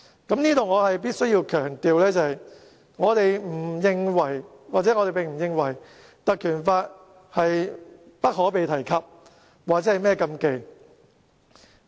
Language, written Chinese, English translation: Cantonese, 在這裏我必須強調，我們並不認為《立法會條例》不可被提及、亦不是禁忌。, I must reiterate that we do not think the Legislative Council Ordinance is a taboo that cannot be mentioned